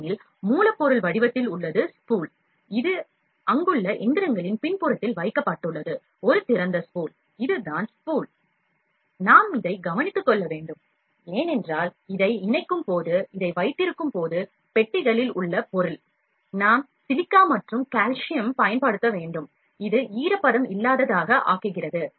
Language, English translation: Tamil, Because, the raw material is in the form of spool, it is an open spool kept at the back of the machineries there, spool will just show you, that we need to take care of it because, when we keep this when we attach this material in the boxes, we have to use silica and calcium and this makes it moisture free